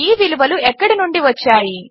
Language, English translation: Telugu, Where did these values come from